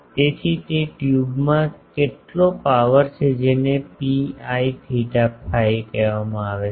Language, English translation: Gujarati, So, in that tube how much power is there that is called P i theta phi